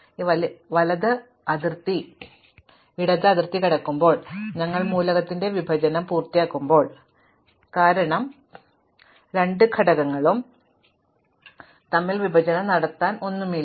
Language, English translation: Malayalam, So, when the right boundary crosses the left boundary, then we have finished partitioning of the elements, because there is nothing in between the two elements to be partitioning any more